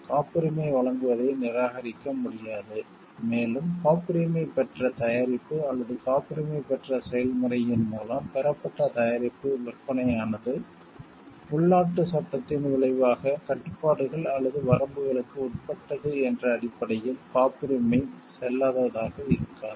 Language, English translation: Tamil, The grant of a patent may not be refused and the patent may not be invalidated on the ground that the sale of the patented product or of a product obtained by means of the patented process is subject to restrictions or limitations resulting from the domestic law